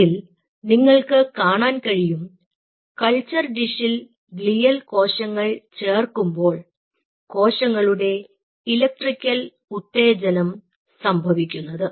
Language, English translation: Malayalam, you will see, addition of glial cell in a culture dish increases the electrical excitability of the cells